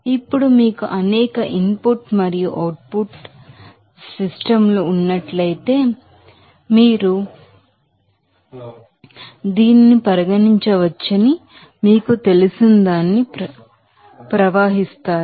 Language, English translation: Telugu, Now, if you have that several input and output streams then flow what can be you know regarded as this